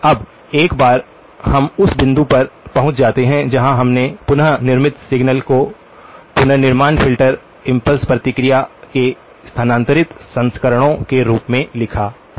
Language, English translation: Hindi, Now once we get to the point where we have written the reconstructed signal as shifted versions of the reconstruction filter impulse response